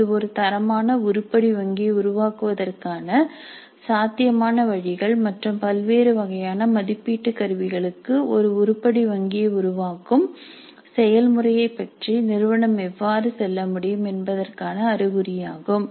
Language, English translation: Tamil, It is only an indicative of what are the possible ways of creating a quality item bank and how can the institute go about the process of creating an item bank for different types of assessment instruments